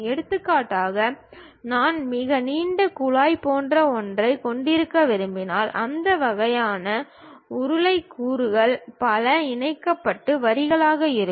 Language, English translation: Tamil, For example, if I would like to have something like a very long pipe, then we will have that kind of cylindrical elements many connected line by line